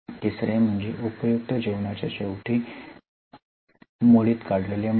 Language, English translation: Marathi, The third one is scrap value at the time of useful life